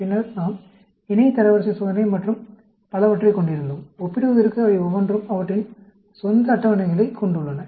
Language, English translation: Tamil, Then, we had the paired rank test and so on, each one of them have their own tables for comparison